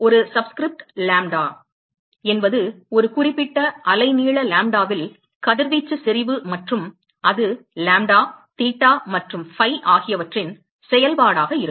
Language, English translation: Tamil, And a subscript lambda means that radiation intensity at a particular wavelength lambda and that is going to be function of lambda, theta and phi